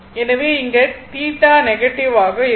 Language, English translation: Tamil, So, in that case theta is negative right